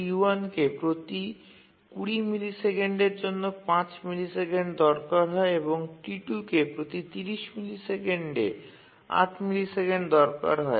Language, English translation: Bengali, T1 requires 5 milliseconds every 20 millisecond and T2 requires 8 milliseconds every 30 millisecond and T2 let's assume that it's the critical task